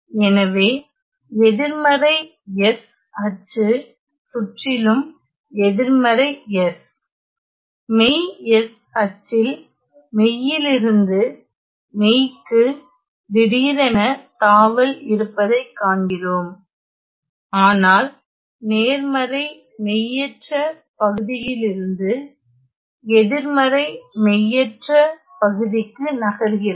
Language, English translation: Tamil, So, we see that around this axis around the negative S axis negative S real S axis there is a sudden jump of the value of the function from being real from being real, but positive imaginary part to real with negative imaginary part